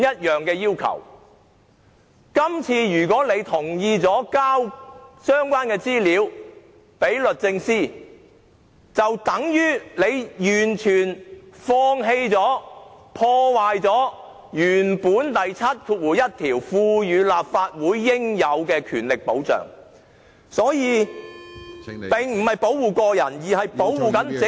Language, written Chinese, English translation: Cantonese, 如果議員這次同意提交相關資料給律政司，便等於完全放棄、破壞《條例》第71條賦予立法會應有的權力保障......這並不是為保護個人，而是為保護整個......, Members consent to submit the relevant information to DoJ this time is tantamount to a complete renunciation and destruction of the protection of Members necessary power conferred by section 71 of the Ordinance My aim is not to protect individuals but to uphold